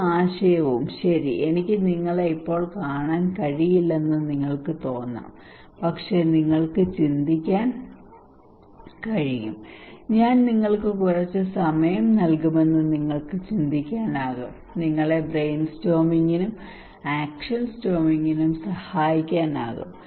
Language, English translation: Malayalam, Any idea, well you can think I cannot see you right now, but you can think that you can imagine I give you some time that would help you to brainstorming, action storming okay